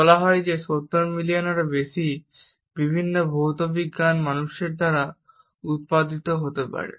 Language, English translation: Bengali, It is said that more than 70 million different physical science can be produced by humans